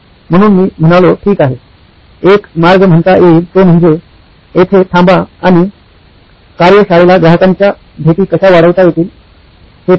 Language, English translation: Marathi, So I said okay, one way is to just stop here and say how might we increase the customer visits to the workshop